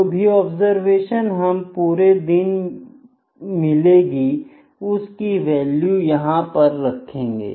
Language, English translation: Hindi, Then we at each observation that we are having in a day will just put the value here, ok